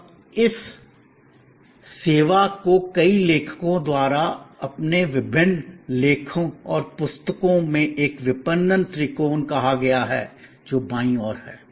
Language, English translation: Hindi, Now, this service a marketing triangle has been referred by many authors in their various articles and books, which are on the left hand side